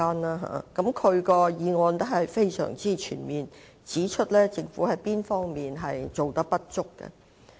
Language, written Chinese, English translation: Cantonese, 他的議案內容非常全面，指出政府有哪些不足之處。, His motion is very exhaustive in content and he also points out the various inadequacies of the Government